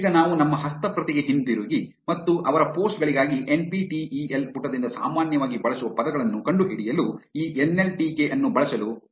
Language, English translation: Kannada, Now, let us go back to our script and try to use this nltk to find the most commonly used words by the NPTEL page for their posts